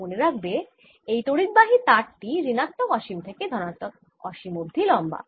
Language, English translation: Bengali, remember, this is a current carrying wire going from minus infinity to plus infinity